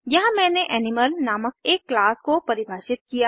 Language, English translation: Hindi, Here I have defined a class named Animal